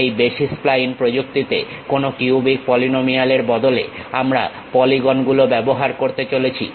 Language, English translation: Bengali, In basis spline techniques, we are going to use polygons instead of any cubic polynomials